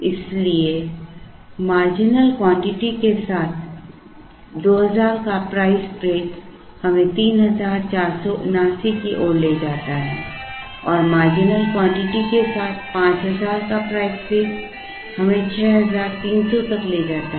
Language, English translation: Hindi, Therefore, a 2000 price break with marginal quantity leads us to 3479 and a 5000 price break with marginal quantity leads us to 6300